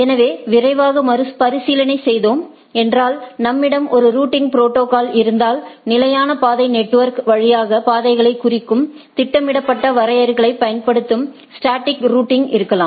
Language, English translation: Tamil, So, if we have a routing protocol one can be a static route that the static route uses programmed definitions representing paths through the network